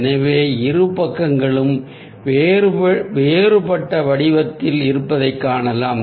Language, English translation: Tamil, so we can see that the two sides are dissimilar in shape